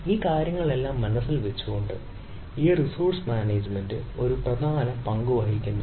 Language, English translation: Malayalam, so, keeping all this thing into mind, this ah, this resource management, plays a, a important role in the thing